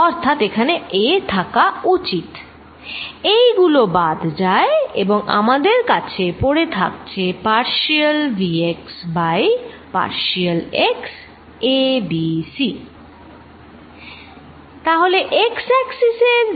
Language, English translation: Bengali, So, there should be in a here, this cancels and we are left with partial v x by partial x a b c